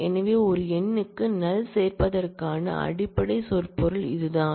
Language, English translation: Tamil, So, that is the basic semantics of adding null to a number